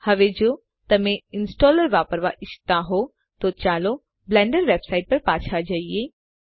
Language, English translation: Gujarati, Now if you want to use the installer, lets go back to the Blender Website